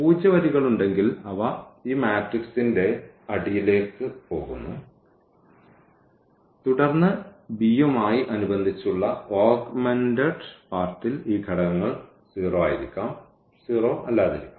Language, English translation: Malayalam, And if there are the zero rows they are they are taken to this bottom of this matrix and then from this augmented part which was correspond to this b here these elements may be 0 and may not be 0